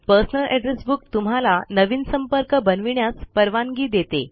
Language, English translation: Marathi, You can use the Address Book to create and maintain contacts